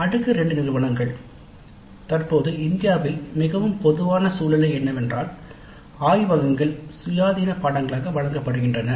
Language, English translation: Tamil, TITU's most common scenario in India at present is that laboratories are offered as independent courses